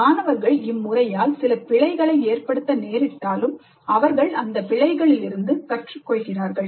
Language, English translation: Tamil, And even if they lead to some errors, the students learn from those errors